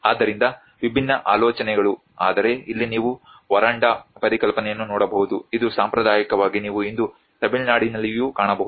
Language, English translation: Kannada, So different ideas but here you can see the veranda concept which is this traditionally you can find today in Tamil Nadu as well